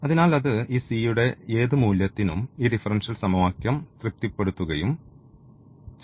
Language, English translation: Malayalam, So, also satisfy this differential equation for any value of this c